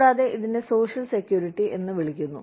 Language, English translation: Malayalam, And, this is called social security